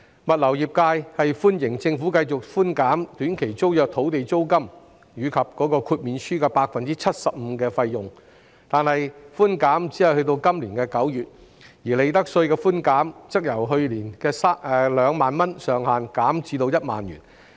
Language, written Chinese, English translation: Cantonese, 物流業界歡迎政府繼續寬減短期租約及豁免書的 75% 租金及費用，但寬減安排只維持至今年9月，而利得稅寬減上限則由去年的2萬元減至1萬元。, The logistics sector welcomes the Governments grant of 75 % rental or fee concession currently applicable to short - term tenancies and waivers . However the concessionary arrangement will only remain in place until September this year and the ceiling of profits tax reduction has been lowered from last years 20,000 to 10,000